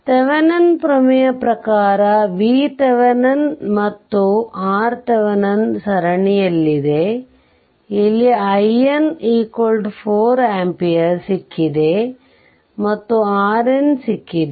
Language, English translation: Kannada, Thevenin's theorem we have seen that V Thevenin and R Thevenin are in series; here we here your i N we have got 4 ampere, and R N we have got